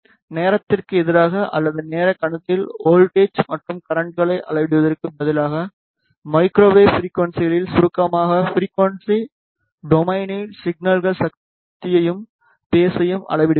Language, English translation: Tamil, To summarize at microwave frequencies instead of measuring voltage and currents against time or in time domain we measure the signal power and phase in frequency domain